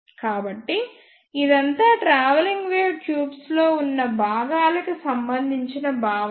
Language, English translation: Telugu, So, this is all about the components present in the travelling wave tubes